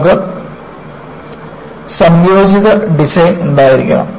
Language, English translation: Malayalam, You have to have an integrated design